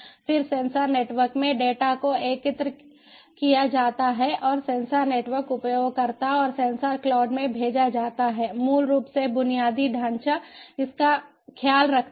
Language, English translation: Hindi, when we are talking about multiple users, then in sensor networks the data are aggregated and send to the sensor network user and in sensor cloud the infrastructure basically takes care of it